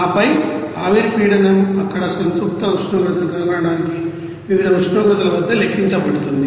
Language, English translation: Telugu, And then the vapor pressure is calculated at various temperatures to find the saturated temperature there